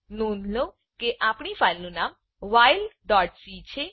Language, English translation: Gujarati, Note that our file name is while.c